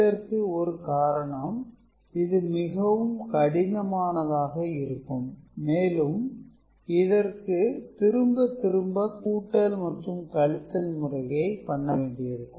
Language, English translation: Tamil, One reason is it is very complex and you need actually repeated number of addition and subtraction